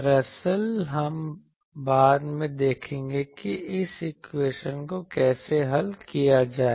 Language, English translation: Hindi, Actually we will see later that how to solve this equation ok